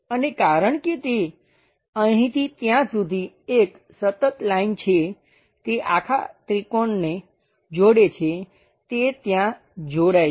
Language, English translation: Gujarati, And because it is a continuous line here to there it connects the entire triangle, it connects there